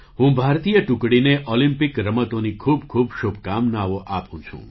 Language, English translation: Gujarati, I wish the Indian team the very best for the Olympic Games